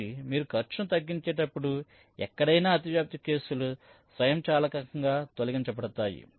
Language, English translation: Telugu, so anywhere when you are minimizing the cost, the overlapping cases will get eliminated automatically